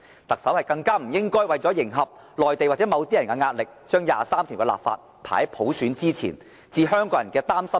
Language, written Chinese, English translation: Cantonese, 特首更不應為迎合內地或某些人的壓力，將第二十三條的立法排在實現普選之前，置香港人的擔心於不顧。, The Chief Executive should not bow under the pressure from the Mainland or from some other people and prioritize the legislating for Article 23 over the realization of universal suffrage ignoring the worries of Hong Kong people